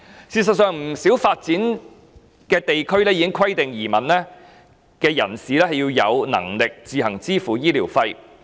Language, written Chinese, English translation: Cantonese, 事實上，不少已發展地區已規定移民人士必須有能力自行支付醫療費。, Actually many developed regions have already stipulated that immigrants must be financially capable of paying for their own medical expenses